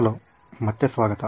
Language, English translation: Kannada, Hello and welcome back